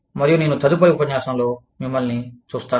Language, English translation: Telugu, And, i will see you, in the next lecture